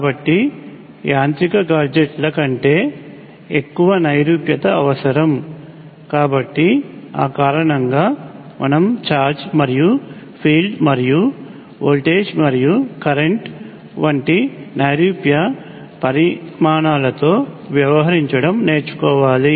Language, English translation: Telugu, So there necessarily more abstract than mechanical gadgets; so for that reason, we have to learn to deal with abstract quantities such as charge and field and voltage and current and so on